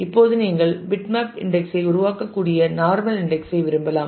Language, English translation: Tamil, Now, you can like the normal index you can also create the bitmap index